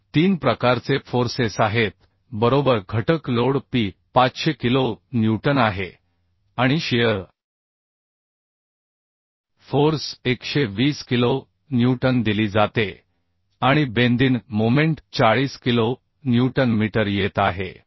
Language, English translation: Marathi, So three type of forces are there right factor load P is 500 kilo Newton and shear force is given 120 kilo Newton and bending moment is coming 40 kilo Newton metre